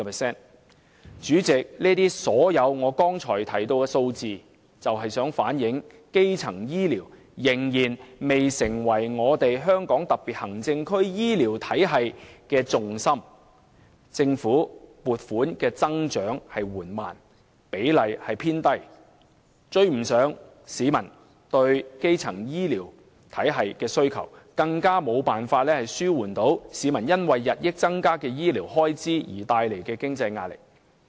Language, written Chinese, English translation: Cantonese, 主席，我剛才列舉多項數字，目的是想說明一個事實：基層醫療仍然未成為香港特別行政區醫療體系的重心，政府增加撥款的速度緩慢，佔總額的比例偏低，未能追上市民對基層醫療服務的需求，更無法紓緩日益增加的醫療開支為市民帶來的經濟壓力。, President I have stated a list of figures just now with the purpose of illustrating the fact that primary care has yet to become the centre of gravity for the HKSARs health care system . The Government has been slow in increasing funding in this regard which only accounts for a low percentage of the total amount of funding . It is actually far from enough to cope with peoples needs for primary health care services and impossible to help alleviate their financial pressure from increasing medical expenses